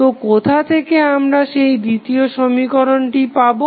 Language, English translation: Bengali, So, from where we will get the second equation